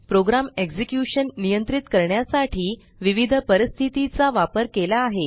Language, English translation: Marathi, Different conditions are used to control program execution